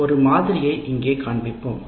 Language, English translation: Tamil, We will show one sample here like this